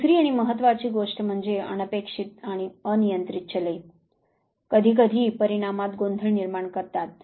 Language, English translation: Marathi, Second and important thing is that the unexpected and uncontrolled variables sometime to confound the result